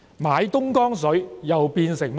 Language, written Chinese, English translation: Cantonese, 買東江水又變成甚麼呢？, How had they described the procurement of the Dongjiang Water?